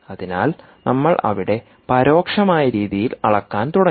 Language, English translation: Malayalam, so we started measuring in an indirect way